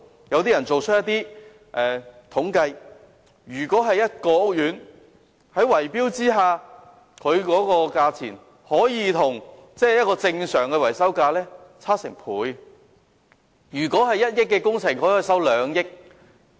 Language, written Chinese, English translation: Cantonese, 根據一些統計，在圍標下，屋苑的維修費用與正常價格可以相差接近1倍，即如果本來需要1億元的工程，他們可以收取兩億元。, According to some statistics when bid - rigging is involved the maintenance costs of a housing estate can be almost double the normal prices . In other words for maintenance works costing 100 million originally the bid - riggers can ask for 200 million